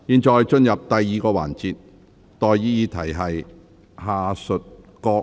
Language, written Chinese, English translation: Cantonese, 現在進入第二個環節。, We now proceed to the second session